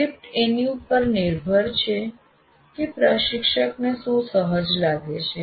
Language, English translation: Gujarati, So the script will be based on with what the instructor feels comfortable with